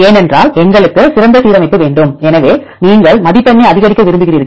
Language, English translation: Tamil, Because we want to have the best alignment; so you want to maximise the score